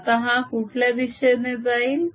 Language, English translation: Marathi, now which way would it go for that